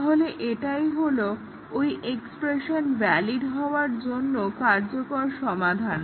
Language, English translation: Bengali, So, this is the workable solution to making that expression valid